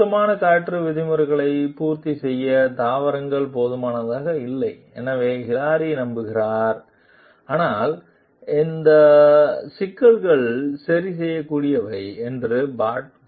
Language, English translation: Tamil, Hilary believes that the plants are inadequate to meet clean air regulations, but Pat thinks that these problems are fixable